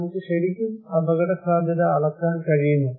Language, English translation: Malayalam, So, really; can we really measure the risk